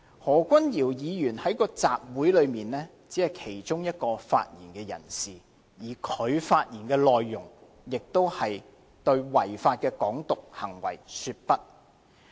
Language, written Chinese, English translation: Cantonese, 在該次集會裏，何君堯議員只是其中一名發言人士，而他的發言內容亦是對違法的"港獨"行為說不。, Actually Dr Junius HO was only one of the speaker at the rally concerned where the contents of his speech aims at saying no to the idea of independence of Hong Kong